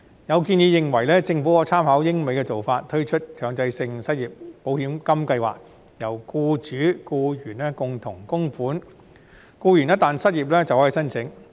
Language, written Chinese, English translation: Cantonese, 有建議認為，政府可參考英美的做法，推出強制性失業保險金計劃，由僱主和僱員共同供款，僱員一旦失業便可申請。, There are suggestions that the Government can draw reference from the practice of the United Kingdom and the United States to introduce a mandatory unemployment insurance scheme through contributions by both the employers and employees . Employees can then apply for assistance in case of unemployment